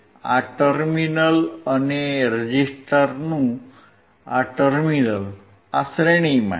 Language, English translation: Gujarati, This terminal and this terminal of the resistor, these are in series